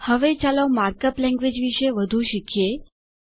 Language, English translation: Gujarati, Now let us learn more about Mark up language